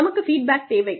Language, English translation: Tamil, We need feedback